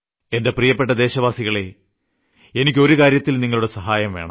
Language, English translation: Malayalam, My dear countrymen, I need a help from you and I believe that you will come along with me